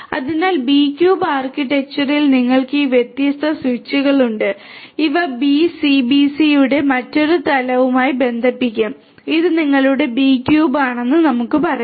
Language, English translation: Malayalam, So, in the B cube architecture you have all this different switches and these will be connected to another level of B cube the let us say that this is your B cube 0